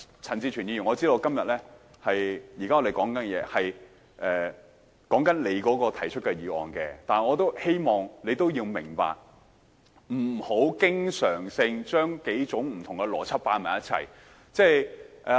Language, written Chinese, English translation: Cantonese, 陳志全議員，我知道現在我們正在討論你提出的議案，但我亦希望你明白，不要經常性將數種不同的邏輯合併。, Mr CHAN Chi - chuen I know that we are discussing the motion proposed by you . Yet I also hope you can learn not to often combine several different kinds of logic